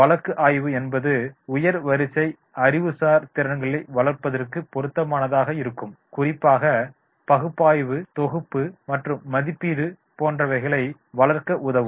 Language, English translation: Tamil, Cases may be especially appropriate for developing higher order intellectual skills such as analysis, synthesis and evaluation